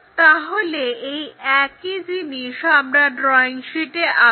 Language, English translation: Bengali, So, let us do that on our drawing sheet